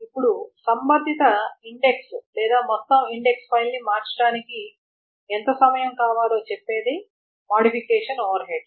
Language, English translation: Telugu, Now how much time does it require to change the corresponding index or the entire index file that's the modification overhead and the space overhead